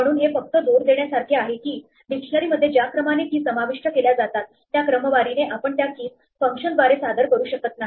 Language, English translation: Marathi, So, this is just to emphasize that the order in which keys are inserted into the dictionary is not going to be the order in which they are presented to through the keys function